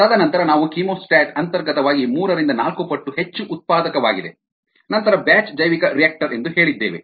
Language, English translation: Kannada, and then we said that a chemostat is inherently three to four times more productive then a batch bioreactor